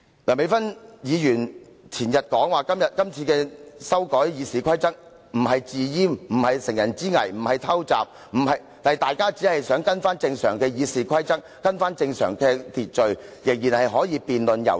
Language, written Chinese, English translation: Cantonese, 梁美芬議員前天說今次修改《議事規則》不是"自閹"、不是乘人之危、不是偷襲，說大家只是想重新跟從《議事規則》，回復正常秩序，大家仍然可以進行辯論和遊說。, Dr Priscilla LEUNG said the day before yesterday that the amendment of RoP is not self - castration that they have not exploited the situation and that this is not a surprise attack . She said that they only wished to once again follow the rules in RoP and restore the normal order adding that Members could still conduct debates and carry out lobbying